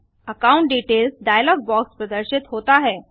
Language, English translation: Hindi, The account details dialog box appears